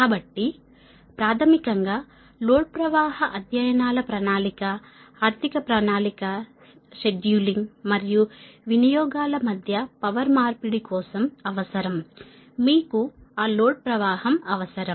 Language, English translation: Telugu, so, basically, load flow studies are necessary that planning, economic operation, scheduling and exchange of power between utilities, your, you need that load flow thing, right